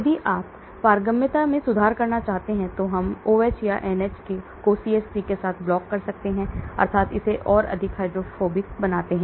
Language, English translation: Hindi, If you want improve permeability we block OH or NH with CH3 that means make it more hydrophobic